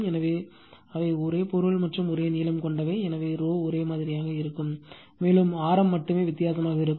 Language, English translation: Tamil, So, they are of the same material and same length right, so rho will remain same and your what you call only radius will be difference